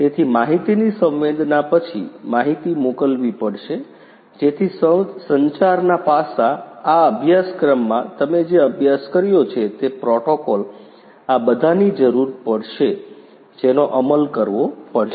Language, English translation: Gujarati, So, after the sensing of the data, the data will have to be sent, so that communication the communication aspects, the protocols that are there which you have studied in this course, all of these are going to be required they have to be implemented